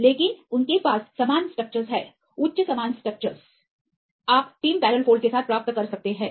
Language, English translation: Hindi, But they have similar structures right with the high similar structures you can get in the case of tim barrel folds